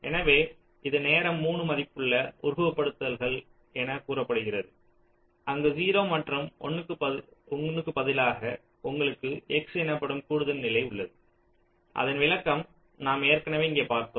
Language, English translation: Tamil, so this is referred to as timed three valued simulation, where instead of zero and one you have an additional state called x, whose interpretation we have already seen here